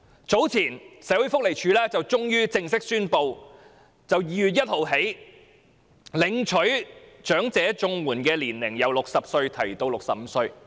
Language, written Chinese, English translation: Cantonese, 早前，社會福利署終於正式宣布由2月1日起，領取長者綜援的年齡由60歲提高至65歲。, Earlier on the Social Welfare Department finally made an official announcement on raising the eligibility age for elderly CSSA from 60 to 65 commencing from 1 February